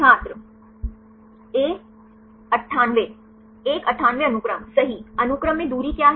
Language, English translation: Hindi, A 98 right what is the distance in the sequence level